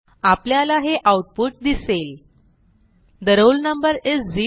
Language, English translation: Marathi, We get the output as The roll number is 0